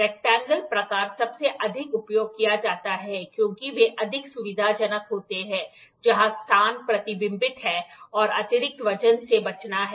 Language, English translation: Hindi, Rectangle type is the most commonly used since they are more convenient where space is restricted and excess weight is to be avoided